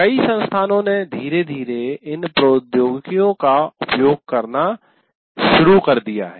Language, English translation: Hindi, And many institutes are slowly started using these technologies